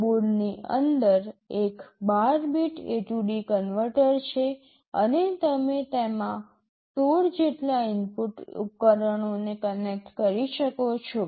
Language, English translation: Gujarati, Inside the board there is a 12 bit A/D converter and you can connect up to 16 input devices to it